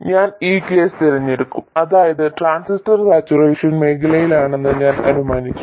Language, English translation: Malayalam, That is, I have assumed that the transistor in saturation region